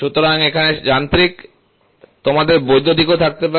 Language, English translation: Bengali, So, here is mechanical, you can also have electrical